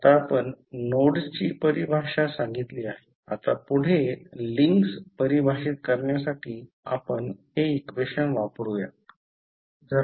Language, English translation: Marathi, Now, we have defined the nodes next we use this equation to define the links